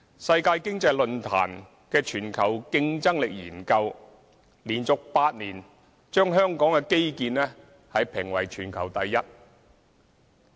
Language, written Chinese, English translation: Cantonese, 世界經濟論壇的全球競爭力研究連續8年，把香港的基建評為全球第一。, According to the study conducted by the World Economic Forum on global competitiveness Hong Kongs infrastructure ranks top in the world for the eighth consecutive year